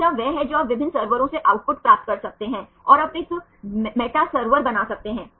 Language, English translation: Hindi, Second one is you can get the output from different servers and you can make a metaserver